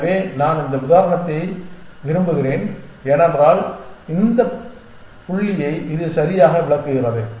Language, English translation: Tamil, So, I like this example, because it illustrates exactly this point